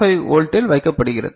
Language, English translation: Tamil, 5 volt is presented here